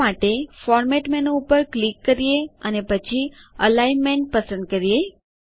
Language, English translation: Gujarati, For this, let us click on Format menu and choose Alignment